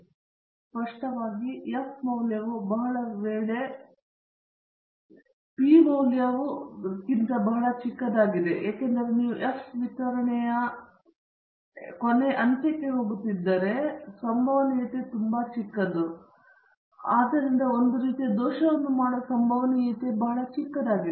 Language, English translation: Kannada, And obviously, if the F value is very, very high the p value would be very small, because you are going on to the tail end of the f distribution and the probability would be very small and so the probability of committing a type one error would be very small